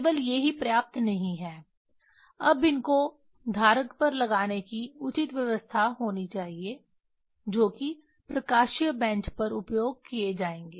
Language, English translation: Hindi, Only these are these are not enough now these there should be proper arrangement to put them on the holder which will be used on optical bench